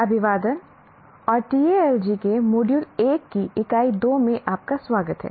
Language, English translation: Hindi, Greetings Greetings and welcome to the Unit 2 of Module 1 of Talji